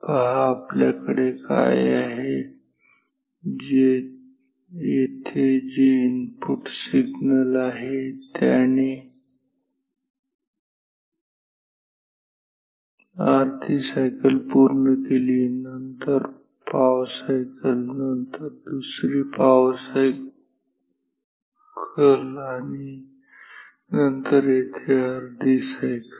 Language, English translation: Marathi, See, what is what we have input signals he completes half cycle here, then quarter cycle here, then another quarter cycle and then half cycle here